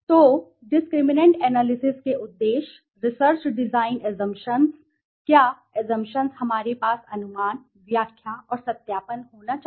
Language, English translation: Hindi, So, the objectives of the discriminate analysis, the research design assumptions, what assumptions we should have estimation, interpretation and validation right